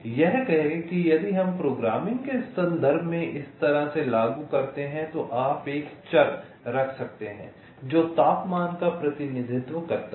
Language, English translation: Hindi, say, if we implement in this way, while in terms a programming you can keep a variable that represents the temperature